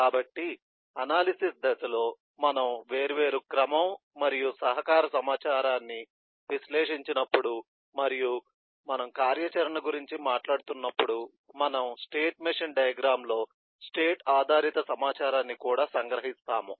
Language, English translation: Telugu, so in the analysis phase, as we analyze different sequence and collaboration information and we talk about activity, we also extract the state based information from the state machine diagram